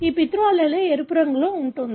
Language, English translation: Telugu, This paternal allele is red colour